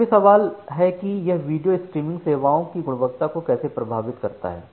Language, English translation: Hindi, Now, the question comes that how it impacts the quality of video streaming services